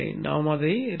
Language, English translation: Tamil, We can name it as rectifier